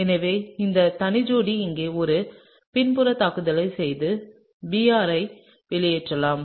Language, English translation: Tamil, So, this lone pair can do a backside attack over here and kick out Br , right